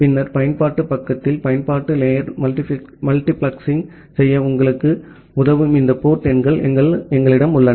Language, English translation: Tamil, And then at the application side, we have these port numbers that actually help you to do the application layer multiplexing